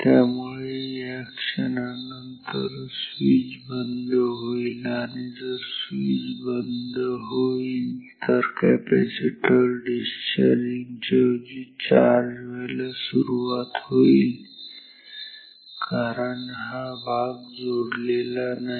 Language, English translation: Marathi, So, after this movement the switch will become off and if the switch is off then the capacitor will start to charge instead of discharging because this part is part is not connected